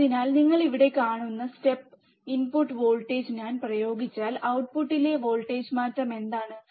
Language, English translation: Malayalam, So, if I apply step input voltage, which you see here, what is the change in the output voltage